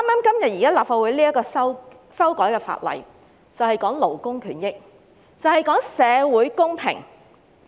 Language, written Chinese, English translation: Cantonese, 今天立法會討論的修例建議關乎勞工權益，亦關乎社會公平。, The proposed legislative amendments under discussion in the Legislative Council today concern labour rights and social justice